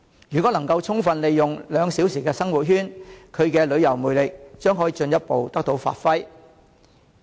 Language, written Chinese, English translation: Cantonese, 如果能夠充分利用"兩小時生活圈"，其旅遊魅力將可以進一步得到發揮。, If we can capitalize on this two - hour living circle we can further display the tourism charm of the Bay Area